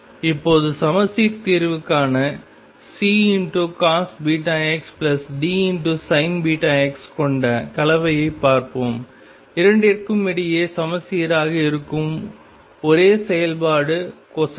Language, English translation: Tamil, Now, let us look at the combination I have C cosine of beta x plus D sin of beta x for symmetric solution the only function that is symmetric between the two is cosine